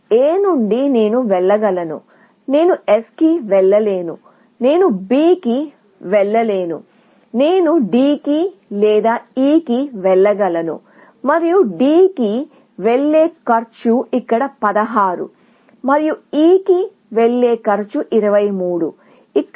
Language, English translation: Telugu, From A, I can go to; I cannot go to S; I cannot go to B; I can go to D or to E, and the cost of going to D is 16, here, and cost of going to E is 23, here